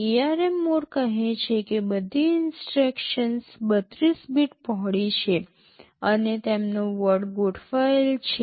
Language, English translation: Gujarati, ARM mode says that all instructions are 32 bit wide and their word aligned